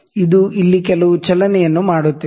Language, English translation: Kannada, It is making some movement here